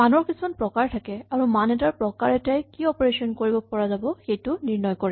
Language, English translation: Assamese, Values have types, and essentially the type of a value determines what operations are allowed